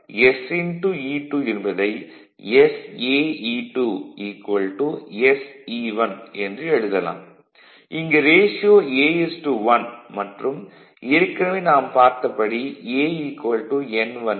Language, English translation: Tamil, Here it is a is to 1, a is equal to your n 1 by n 2 a is equal to n 1 by n 2